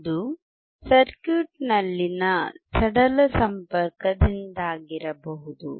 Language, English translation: Kannada, That may be due to the loose connection in the circuit